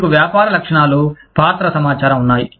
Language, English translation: Telugu, You have, business characteristics, role information